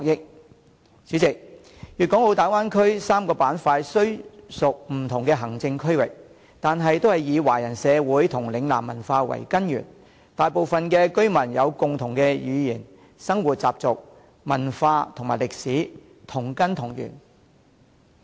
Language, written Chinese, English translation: Cantonese, 代理主席，粵港澳大灣區3個板塊雖屬不同的行政區域，但均以華人社會和嶺南文化為根源，大部分居民有共同的語言、生活習俗、文化和歷史，同根同源。, Deputy President although the Bay Area is made up of three places of different administrative regions but they are all made up of Chinese society with a Lingnan cultural origin . Most of the people speak a common language with the same living habits and customs culture and history . They are of the same root and origin